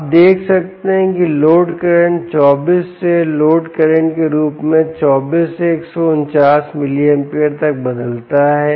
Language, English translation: Hindi, you can see that the load current changes from twenty four, as a load current changes from twenty four to hundred and forty nine milliamperes